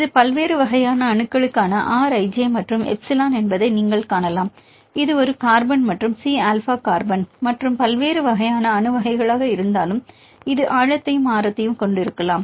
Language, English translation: Tamil, You can see this is the R i j and the epsilon for different types of atoms; whether it is a carbon and the C alpha carbon and the different types of atom types, you can have these well depth as well as the radius and you can use that